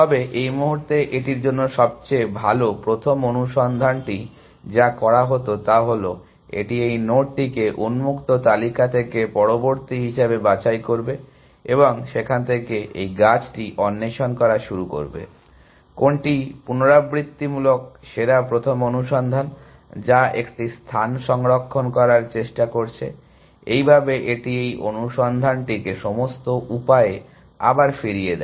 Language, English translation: Bengali, But, at this point well, it has to what best first search would have done is simply, it would have pick this node as the next one from the open list and started exploring the tree from there essentially, what recursive best first search, which is trying to save one space, thus is that it rolls back this search all the way